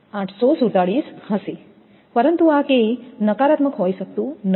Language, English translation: Gujarati, 847, but this is K cannot be negative